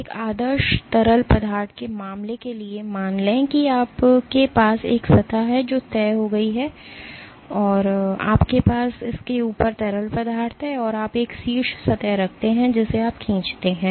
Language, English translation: Hindi, For the case of an ideal fluid, let us assume you have a surface which is fixed you have fluid on top of it and you put a top surface which you pull